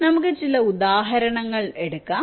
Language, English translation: Malayalam, now lets takes some examples